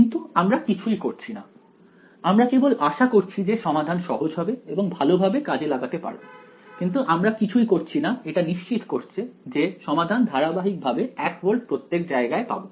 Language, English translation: Bengali, But we are doing nothing we are just hoping that the solution turns out to be smooth and you know well behaved and all of that, but we are not doing anything to ensure that the solution is continuously one volt everywhere right